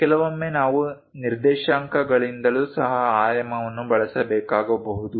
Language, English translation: Kannada, Sometimes, we might require to use dimensioning by coordinates also